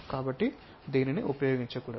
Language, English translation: Telugu, So, this one should not be used